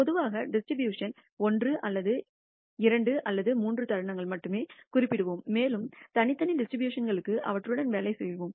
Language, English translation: Tamil, Typically we will usually specify only 1 or 2 or 3 moments of the distribution and work with them for discrete distributions